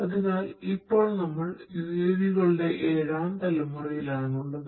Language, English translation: Malayalam, So, currently we are in the seventh generation of UAV technology transformation